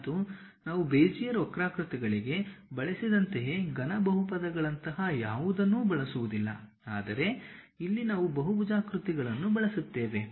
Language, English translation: Kannada, And we do not use anything like cubic polynomials, like what we have used for Bezier curves, but here we use polygons